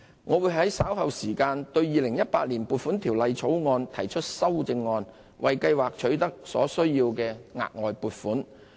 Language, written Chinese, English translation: Cantonese, 我們會在稍後時間對《2018年撥款條例草案》提出修正案，為計劃取得所需的額外撥款。, We will propose amendments to the Appropriation Bill 2018 the Bill later on to obtain the additional funding required for the Scheme